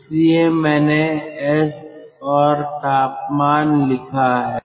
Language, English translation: Hindi, so i have written s and temperature